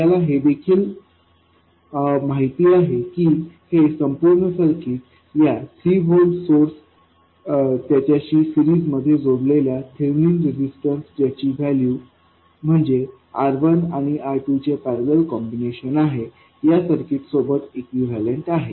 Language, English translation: Marathi, We also know that this whole thing is equal into a 3 volt source in series with the thernine resistance whose value is R1 parallel R2